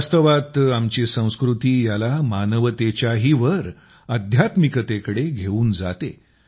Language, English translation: Marathi, In fact, our culture takes it above Humanity, to Divinity